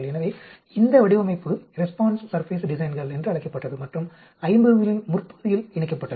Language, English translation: Tamil, So, the design is called response surface designs were incorporated in the early 50s